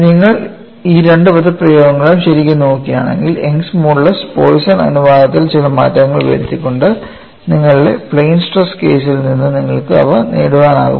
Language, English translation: Malayalam, If you really look at these two expressions, can you get them from your plain stress case by making some modification to Young's modulus and Poisson ratio